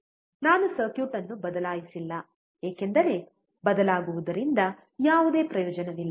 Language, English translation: Kannada, I have not changed the circuit because there is no use of changing